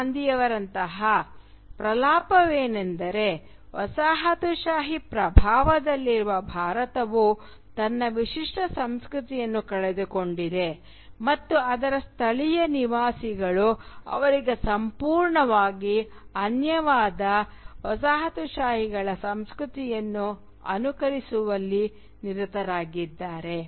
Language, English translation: Kannada, Gandhi for instance, is that India under the colonial influence has lost its distinctive culture and its native inhabitants are busy imitating the culture of the colonisers which is completely alien to them